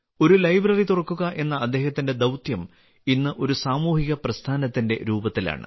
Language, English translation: Malayalam, His mission to open a library is taking the form of a social movement today